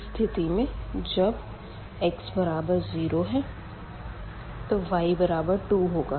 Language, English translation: Hindi, So, when x is 0 the y is 2